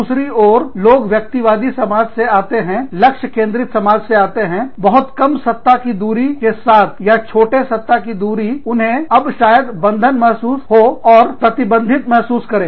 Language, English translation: Hindi, On the other hand, people coming from very individualistic societies, very goal oriented societies, with very little power distance, or with a smaller power distance, a shorter power distance, are now, are may feel cramped, and may feel restricted